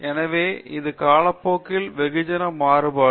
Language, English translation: Tamil, So, this a variation of mass with time